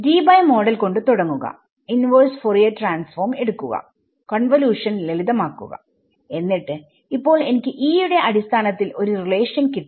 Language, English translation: Malayalam, Start by Debye model, take Fourier take the inverse Fourier transform, simplify the convolution and now I have got a relation purely in terms of E right